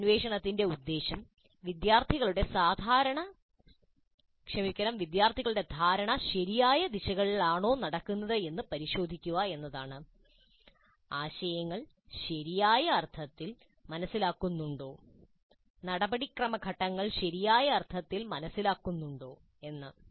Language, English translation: Malayalam, The purpose of this probing is to check whether the understanding of the students is proceeding in the proper directions, whether the concepts are being understood in the proper sense, whether the procedural steps are being understood in the proper sense